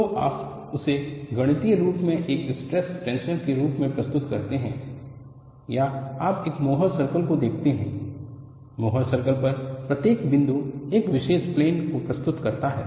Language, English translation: Hindi, So, you represent that as stress strengths,or mathematically, or you look at more circle; each point on the more circle represents a particular plane